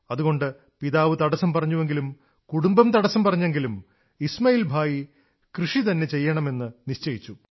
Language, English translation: Malayalam, Hence the father dissuaded…yet despite family members discouraging, Ismail Bhai decided that he would certainly take up farming